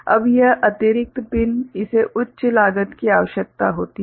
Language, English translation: Hindi, Now, this additional pins that requires higher cost